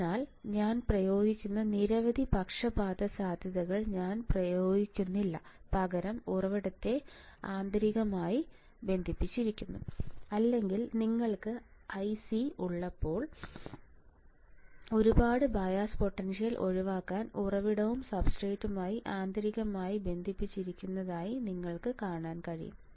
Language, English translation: Malayalam, So, many bias potentials I am using I am not applying I am internally connecting the source and substrate all right or you can see that when you have I c, the source and substrates are internally connected to avoid too many bias potential